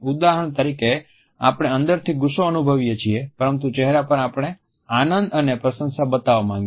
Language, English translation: Gujarati, For example, we may feel angry inside, but on the face we want to show our pleasure and appreciation